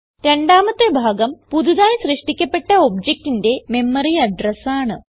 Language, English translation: Malayalam, The second part is the memory address of the new object created